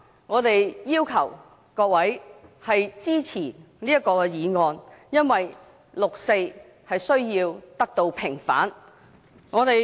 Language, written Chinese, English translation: Cantonese, 我們要求各位議員支持這項議案，因為六四需要得到平反。, We urge Members to support this motion because the 4 June incident should be vindicated